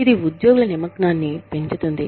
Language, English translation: Telugu, It enhances, employee engagement